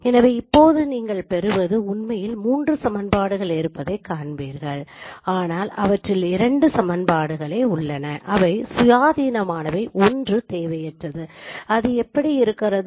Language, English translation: Tamil, So now you see that there are actually three equations what you get but out of them there are two equations which are independent